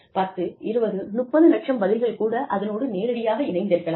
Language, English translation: Tamil, May be, 10, 20, 30 lakhs, responses, that directly tie with that